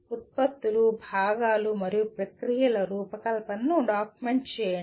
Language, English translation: Telugu, Document the design of products, components, and processes